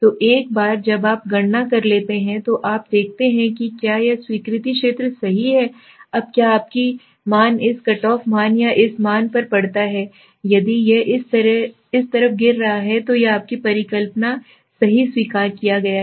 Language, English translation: Hindi, So once you have calculated then you see if this is the acceptance zone right, now whether your value falls this side to this cutoff value or this value, if it is falling this side your null hypothesis is accepted right